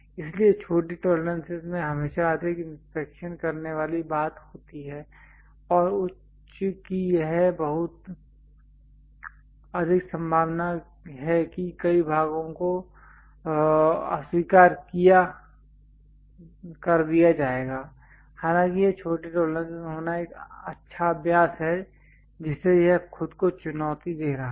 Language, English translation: Hindi, So, small tolerances always have a greater inspection thing and high is a highly likely that many parts will be rejected, though it is a good practice to have smaller tolerances, but making that itself is challenging